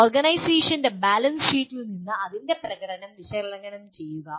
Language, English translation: Malayalam, Analyze the performance of an organization from its balance sheet